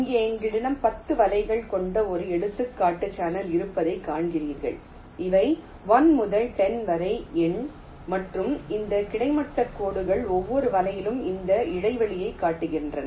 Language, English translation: Tamil, ok, you see that here we have a example channel with ten nets which are number from one to up to ten, and these horizontal lines show this span of each of the nets